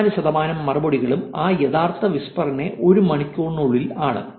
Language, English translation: Malayalam, 54 percent of replies are within hour of those original whispers